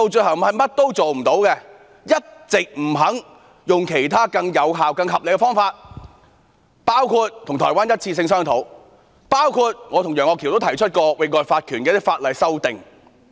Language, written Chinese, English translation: Cantonese, 她一直不肯採用其他更有效和合理的方法，包括與台灣進行"一次性"的商討，以及我和楊岳橋議員曾提出有關域外法權的一些法例修訂。, In the end nothing can be done . She has all along refused to adopt other more effective and reasonable approaches including a one - off negotiation with Taiwan and some legislative amendments relating to extraterritorial jurisdiction proposed by Mr Alvin YEUNG and me